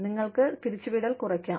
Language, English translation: Malayalam, You could reduce the layoffs